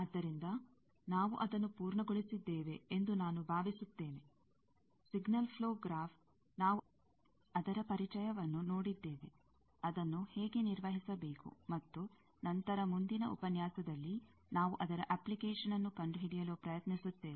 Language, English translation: Kannada, So, I think, we have completed that, signal flow graph, we have seen the introduction, how to manipulate that, and later, in the next lecture, we will try to find out its application